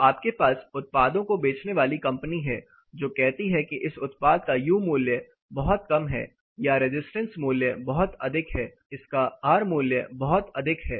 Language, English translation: Hindi, So, you have a always a companies selling products, they say this product has very low U value or the resistance value pretty high, r value of this much